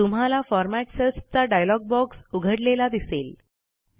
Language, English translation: Marathi, You see that the Format Cells dialog box opens